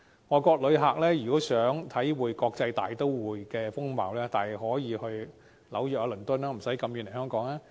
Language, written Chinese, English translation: Cantonese, 外國旅客如想體會國際大都會的風貌，大可到紐約、倫敦，不用長途跋涉來香港。, If foreign visitors want to experience the life in an international metropolis they may well travel to New York and London and they need not travel long distances to Hong Kong